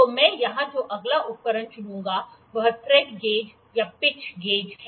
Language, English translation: Hindi, So, the next instrument I will pick here is the Thread Gauge or Pitch Gauge